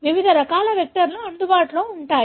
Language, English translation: Telugu, There are various types of vectors available